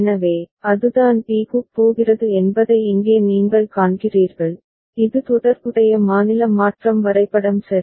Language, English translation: Tamil, So, that is what you see over here that it is going to b, this is the corresponding state transition diagram ok